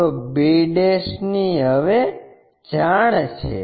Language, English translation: Gujarati, So, b ' is known